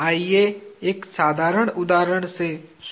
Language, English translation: Hindi, Let us start with a simple example